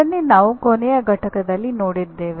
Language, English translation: Kannada, That is what we looked at in the last unit